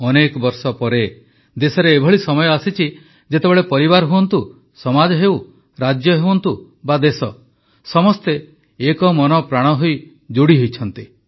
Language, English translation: Odia, After years has the country witnessed a period where, in families, in society, in States, in the Nation, all the people are single mindedly forging a bond with Sports